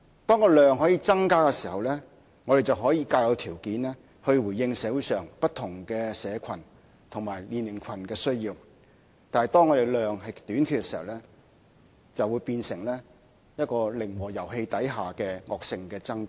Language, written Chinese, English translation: Cantonese, 當建屋數量可以增加的時候，我們便可以較有條件回應社會上不同社群及年齡群的需要；但當建屋數量仍屬短缺，便會變成一個零和遊戲之下的惡性爭奪。, When the volume of housing production can be increased we are in a better position to address the needs of various communities and age groups in society . But when housing is still in short supply there will be a vicious competition under a zero sum game